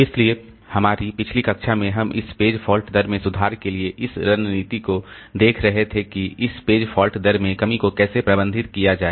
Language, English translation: Hindi, So, in our last class, we are looking into this strategies for improving this page fault rate, how to handle this page fault rate reduction